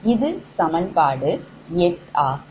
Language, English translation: Tamil, this is equation eight